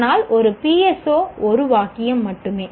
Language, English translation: Tamil, But a PSO is only one sentence